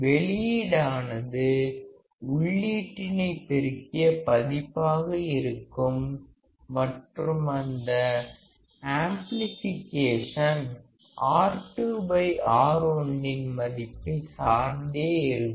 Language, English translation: Tamil, Output would be amplified version of the input and that amplification depends on the value of R2 by R1